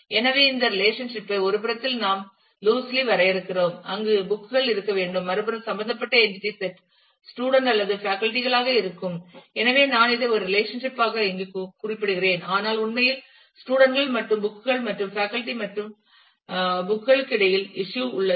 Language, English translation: Tamil, So, we loosely define this relationship on one side there has to be the books and the other side would be the involved entity set would be either student or faculty so, actually though I am just noting it here as a as a single relationship, but actually there is a relationship of issue between students and books and faculty and books